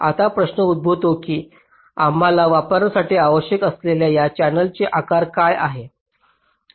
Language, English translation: Marathi, now the question arises that what is the size of this channel we need to use